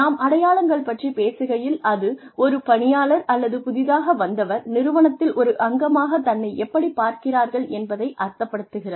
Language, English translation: Tamil, When, we talk about identities, we mean, how the employee, or how the newcomer, sees herself or himself, as a part of the organization